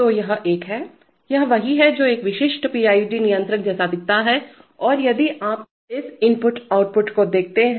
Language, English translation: Hindi, So this is a, this is what a typical PID controller looks like and if you look at this input outputs for all controllers input outputs are very important